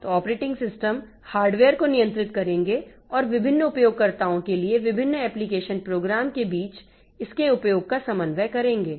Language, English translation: Hindi, So, the operating system they will control the hardware and coordinates, coordinate its use among the various application programs for various users